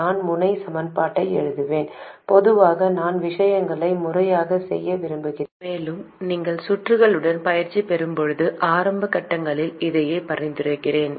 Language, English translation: Tamil, I will write down the node equations, usually I prefer to do things systematically and I would recommend the same especially in the early stages when you are still getting practice with circuits